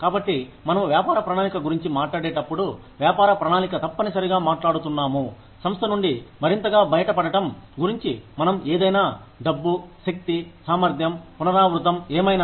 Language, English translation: Telugu, So, when we talk about a business plan, we are essentially talking about, getting more out of the organization, in terms of, what we, in terms of whatever, money, the energy, efficiency, repetition, whatever